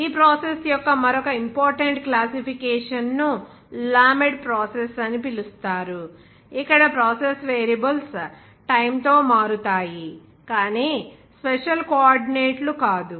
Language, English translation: Telugu, Another important classification of this process is called lamed process, where the process variables change with time but not special coordinates (like x,y,z or special coordinates